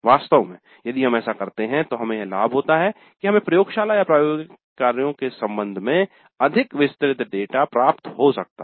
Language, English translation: Hindi, In fact if you do that we have the advantage that we can get more detailed data regarding the laboratories